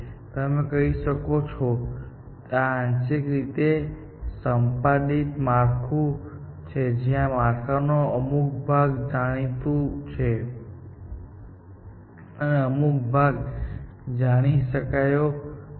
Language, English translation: Gujarati, So, a partially elicited structure where, part of the structure is known, and part is not known